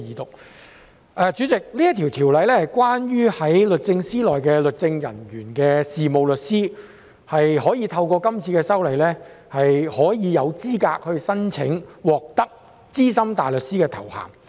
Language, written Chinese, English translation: Cantonese, 代理主席，這項《條例草案》是關於在律政司任職律政人員的事務律師可以透過這次修例，獲資格申請資深大律師的頭銜。, Deputy President this Bill is about allowing solicitors who work as legal officers in the Department of Justice DoJ to become eligible for the title of Senior Counsel SC through this legislative amendment